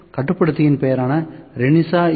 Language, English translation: Tamil, So, controller name is Renishaw U